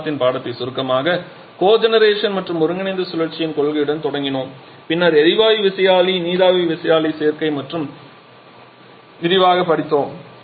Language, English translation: Tamil, So, to summarize the discussion of this week we started with the principle of cogeneration and combined cycle then we discussed in detail about the gas turbine steam turbine combination